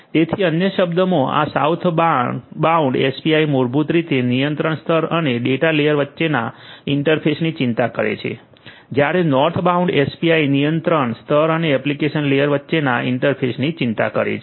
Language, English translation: Gujarati, So, this Southbound API in other words basically concerns the interface between the control layer and the data layer whereas, the Northbound API concerns the interface between the control layer and the application layer